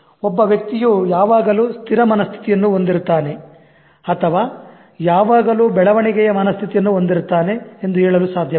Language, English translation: Kannada, So you cannot say that this person always has a fixed mindset and this person always has a growth mindset